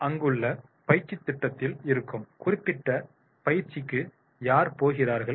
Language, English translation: Tamil, And who is going for that particular training that is in the training program that is there